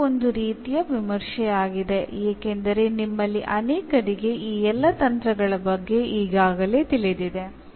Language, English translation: Kannada, So, it was kind of review because many of you are already aware with all these techniques